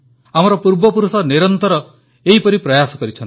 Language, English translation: Odia, Our ancestors have made these efforts incessantly for centuries